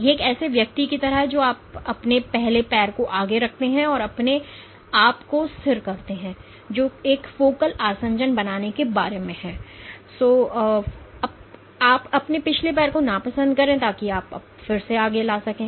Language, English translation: Hindi, It is like a man walking you put your first foot forward you stabilize yourself which is equivalent of forming a focal adhesion and you dislodge your back foot, so that you can again bring it forward